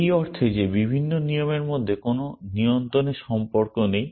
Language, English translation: Bengali, In the sense that there is no control relation between the different rules